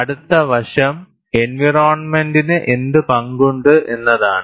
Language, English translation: Malayalam, And the next aspect is, in what way the environment has a role